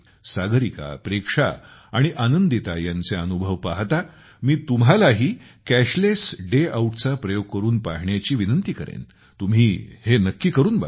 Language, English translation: Marathi, Looking at the experiences of Sagarika, Preksha and Anandita, I would also urge you to try the experiment of Cashless Day Out, definitely do it